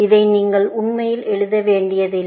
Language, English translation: Tamil, You do not have to really write this